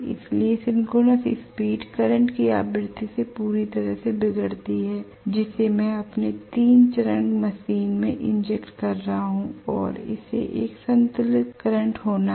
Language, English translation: Hindi, So the synchronous speed is fully determent by the frequency of the current that I am injecting to my 3 phase machine and it has to be a balanced current